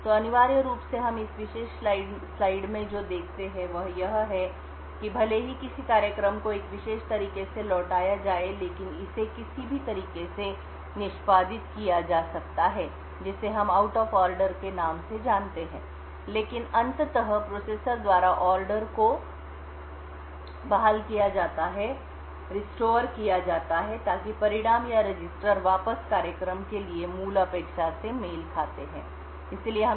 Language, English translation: Hindi, So essentially what we see in this particular slide is that even though a program is return in a particular manner it would could be executed in any manner which we known as out of order, but eventually the order is restored by the processor so that the results or the registers return back would match the original expectation for the program